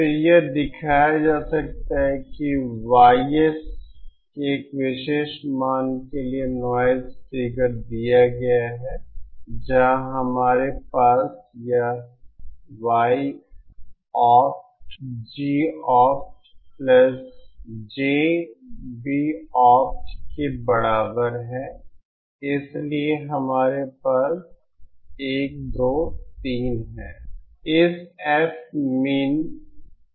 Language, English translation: Hindi, Then it can be shown that the noise figure for particular value of YS is given by where we have this Y opt is equal to G opt plus JB opt so what we have is 1 2 3